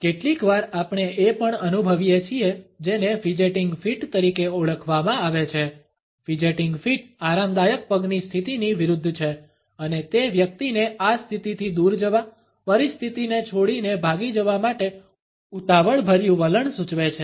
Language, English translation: Gujarati, Sometimes we also come across what is known as fidgeting feet; fidgeting feet are opposite of the relaxed feet position and they suggest the hurried attitude of a person to move away from this position, to leave the situation and flee